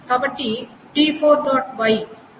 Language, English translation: Telugu, And if t3